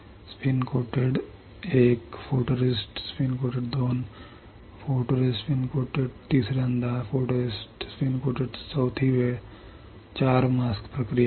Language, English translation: Marathi, Spin coated 1, photoresist spin coated 2, photoresist spin coated third time, photoresist spin coated fourth time 4 mask process